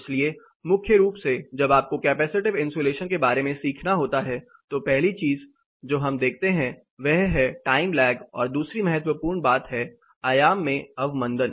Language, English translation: Hindi, So, primarily when you have to learn about capacitive insulation the first thing we look at it the time lag and the second important thing is the amplitude reduction